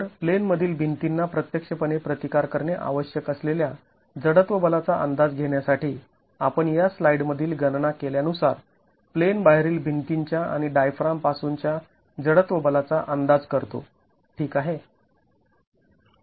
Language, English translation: Marathi, So, to be able to estimate the inertial force which the in plane walls will actually have to counteract, we estimate the inertial force from the out of wall and the diaphragm as calculated in the in this slide